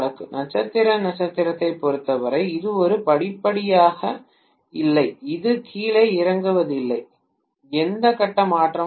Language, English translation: Tamil, As far as star star is concerned it is a gain no step up, or step down, no phase shift